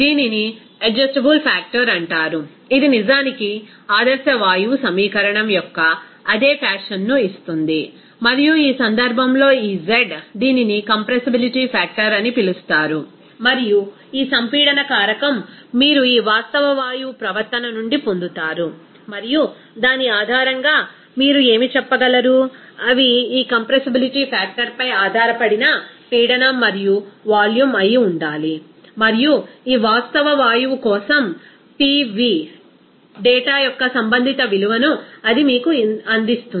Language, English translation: Telugu, It is called adjustable factor which will be actually giving the same fashion of ideal gas equation, and in this case, this z it is called compressibility factor and this compressibility factor you will get from this real gas behavior and based on which you can say what should be the pressure and volume they are based on this compressibility factor and it will give you that corresponding value of PV data for this real gas